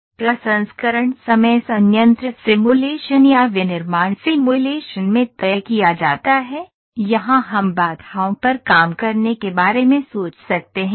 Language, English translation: Hindi, The processing times are fixed yes in the plant simulation or in the manufacturing simulation here we can think of working on the bottlenecks